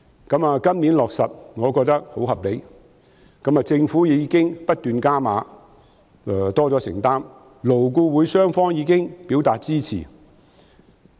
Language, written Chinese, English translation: Cantonese, 今年可以落實，我覺得很合理，政府已不斷"加碼"，願意作出更多承擔，勞工顧問委員會雙方亦已表示支持。, Now that it can be abolished this year and this I think is most reasonable . The Government has kept increasing the commitment made for this purpose and it is willing to make greater commitments . Both parties to the Labour Advisory Board LAB have also indicated support for the abolition